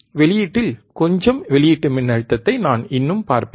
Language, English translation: Tamil, I will still see some output voltage in the output output we can measureoutput